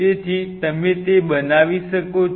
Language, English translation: Gujarati, So, you can make